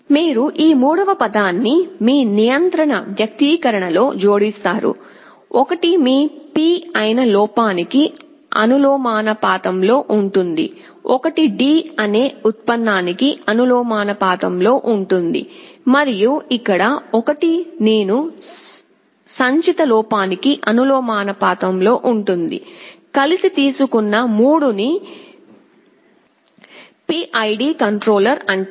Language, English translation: Telugu, You add this third term in your control expression, one will be proportional to the error that is your P, one will be proportional to the derivative that is D, and here one will be the proportional to the cumulative error that is I; the 3 taken together is called PID controller